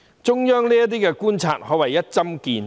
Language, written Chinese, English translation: Cantonese, 中央政府這些觀察可謂一針見血。, These observations by the Central Government go right to the heart of the matter